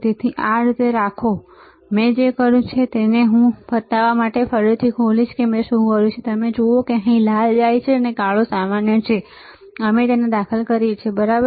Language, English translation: Gujarati, So, keep it like this, what I have done I will open it again to show it to you what I have done you see red goes here black is common right and we insert it, right